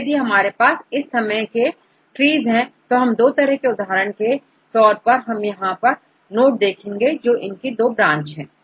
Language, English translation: Hindi, So, if we have this type of trees, there are two types of trees for example, we see this node it has two branches